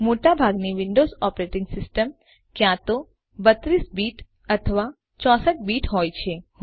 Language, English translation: Gujarati, Most Windows Operating systems are either 32 bit or 64 bit